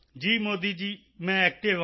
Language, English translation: Punjabi, Yes Modi ji, I am active